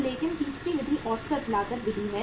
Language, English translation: Hindi, So but the third method is average cost method